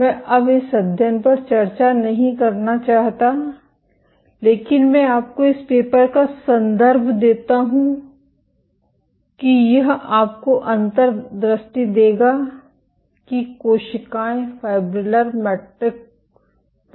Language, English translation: Hindi, I do not want to discuss this study anymore, but I refer you to this paper it would give you insight as to how cells migrate on fibrillar matrices